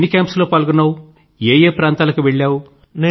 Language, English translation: Telugu, How many camps you have had a chance to attend